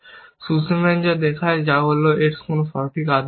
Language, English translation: Bengali, What Sussman shows was that there is no correct order